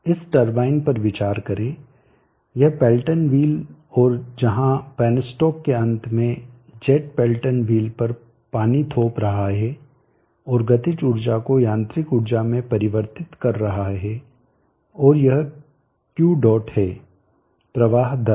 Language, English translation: Hindi, Consider this turbine this pelton wheel and where the jet at the end of the penstock that is imp inching on the Pelton wheel and converting the kinetic energy do mechanical energy and this is Q